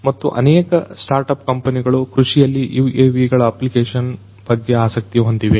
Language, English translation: Kannada, And also there are a lot of startup companies on UAVs which are focusing on agricultural application